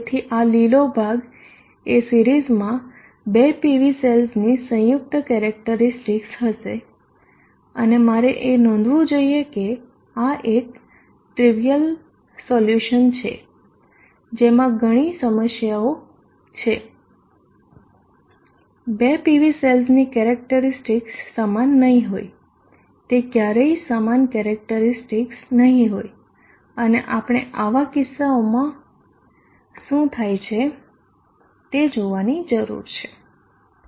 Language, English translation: Gujarati, So this would be the green ocean would be the combined characteristic of the two PV cells in series and I should note that this is a trivial solution there are many problems the two PV cells will not have identical characteristic will never have identity identical characteristic and we need to see what happens in such cases